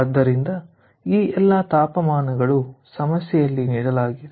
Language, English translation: Kannada, so all these temperatures are some temperatures given in the problem